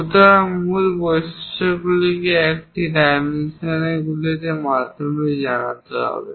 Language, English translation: Bengali, So, main features has to be conveyed through these dimensions